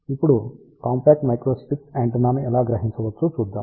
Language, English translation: Telugu, So, now let us see how we can design rectangular microstrip antenna